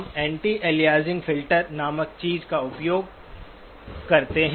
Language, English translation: Hindi, We use something called the anti aliasing filter